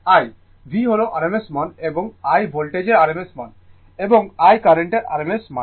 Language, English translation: Bengali, V is the rms value and I is the rms value of the voltage and I is the rms value of the current right